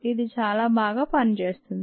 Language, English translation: Telugu, it works very well